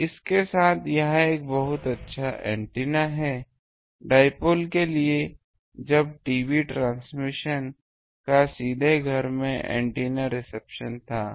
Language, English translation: Hindi, So with this, this is a very good antenna for dipole in one day when TV transmission was directly to home antenna reception